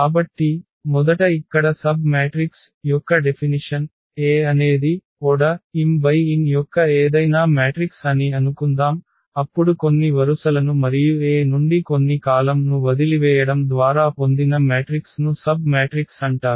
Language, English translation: Telugu, Suppose, this A is any matrix of order m cross n, then a matrix obtained by leaving some rows and some columns from A is called a submatrix